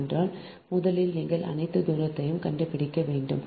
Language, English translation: Tamil, so first you calculate all the distances right